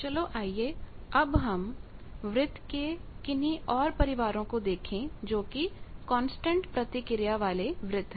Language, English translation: Hindi, Now, let us see the other family of circles constant reactance circle